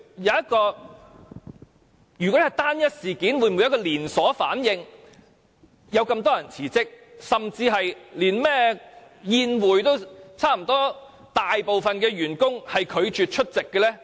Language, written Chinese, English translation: Cantonese, 如果這是單一事件，為何會出現連鎖反應，引發多人辭職，甚至差不多大部分員工拒絕出席那個甚麼宴會？, If this is an isolated incident how come it has triggered off a series of chain reactions led to the resignation of a number of officers and even a majority of staff members in ICAC have refused to attend that annual function of ICAC?